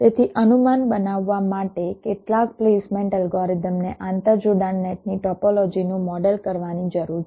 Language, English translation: Gujarati, so for making an estimation, some placement algorithm needs to model the topology of the interconnection nets